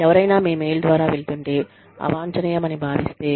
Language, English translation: Telugu, If somebody is going through your mail, and finds something, undesirable